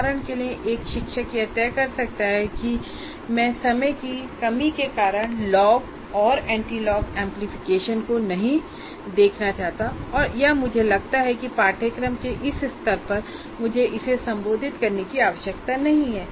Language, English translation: Hindi, For example, a teacher may decide that I don't want to look at log and anti log amplification because for the lack of time or I consider at the first level of, at this level of this course, I don't need to address that